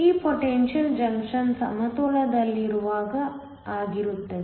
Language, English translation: Kannada, This is the potential when the junction is in equilibrium